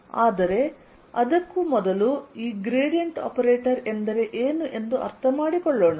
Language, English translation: Kannada, but before that let us understand what this gradient operator means